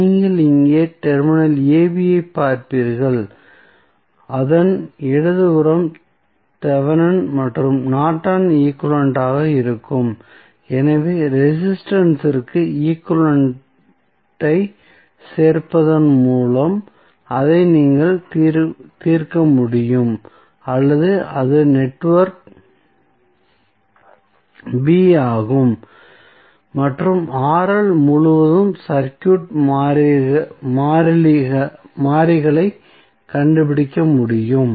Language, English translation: Tamil, So, you will see terminal AB here the left of this would be having either Thevenin's and Norton's equivalent so, that you can solve it by adding that equivalent to the resistance or that is the network B and find out the circuit variables across RL